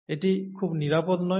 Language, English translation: Bengali, It's not very safe